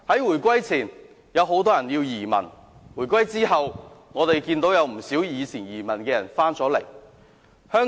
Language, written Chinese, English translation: Cantonese, 回歸前，有很多人移民；回歸後，不少昔日移民外國的人已回流香港。, Before the reunification a large number of people emigrated overseas; since the reunification many of those who emigrated in the past have returned to Hong Kong